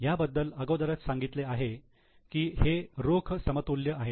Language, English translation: Marathi, It is already given that it is cash equivalent